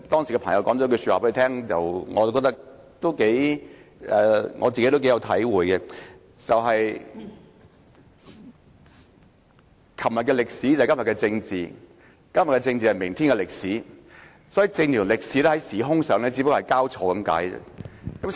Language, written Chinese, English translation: Cantonese, 他朋友當時對他說了一句話，我亦頗有體會，他說："昨天的歷史，便是今天的政治；今天的政治，便是明天的歷史"，政治和歷史只不過是時空交錯而已。, I am greatly impressed by the advice given to him by his friend . He said Yesterdays history is todays politics; todays politics is tomorrows history . Politics and history are the same matters that happen at different times